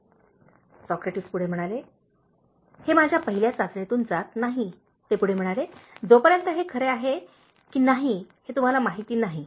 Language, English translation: Marathi, ” “Alright that does not pass my first test,” Socrates added, “since you don’t know whether it’s true